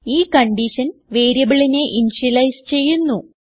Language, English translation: Malayalam, This condition allows the variable to be initialized